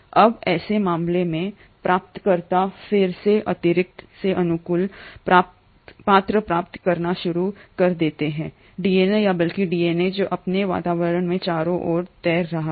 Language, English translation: Hindi, Now, in such a case the recipient again ends up receiving favourable characters from the extra DNA or rather the DNA which is floating around in its environment